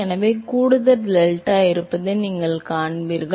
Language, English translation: Tamil, So, you see there is an extra delta